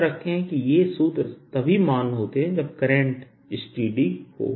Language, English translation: Hindi, remember, these formulas are valid only if the current is steady